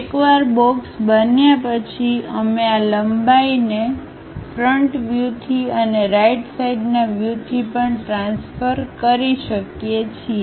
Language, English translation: Gujarati, Once box is constructed, we can transfer these lengths from the front view and also from the right side view